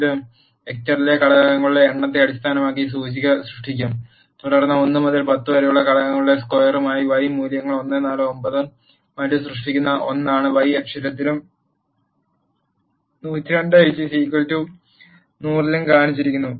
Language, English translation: Malayalam, It will create the index based on the number of elements in the vector and then the y values which are the squares of elements 1 to 10 that are 1 4 9 and so on are shown in the y axis, and 10 square is 100